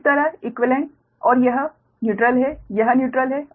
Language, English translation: Hindi, so here it neutral, here it is neutral, right